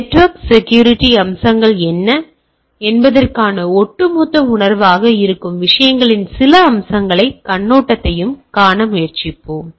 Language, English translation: Tamil, We will try to see some aspects and overview of the things which keep as a overall feel of the what are the network security aspects